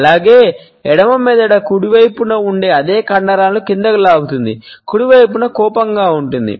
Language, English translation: Telugu, Well, the left brain pulls the same muscles downwards, on the right side to produce an angry frown